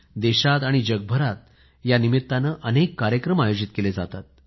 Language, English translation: Marathi, There are many programs that are held in our country and the world